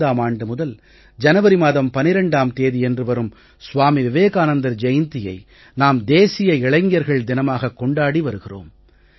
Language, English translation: Tamil, Since 1995, 12th January, the birth Anniversary of Vivekananda is celebrated as the National Youth Festival